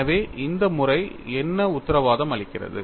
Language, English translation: Tamil, So, what does this method guarantee